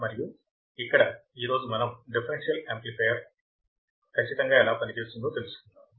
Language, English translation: Telugu, And here today we will see what exactly a differential amplifier is